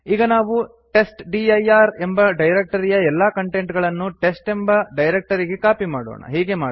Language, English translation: Kannada, Let us try to copy all the contents of the testdir directory to a directory called test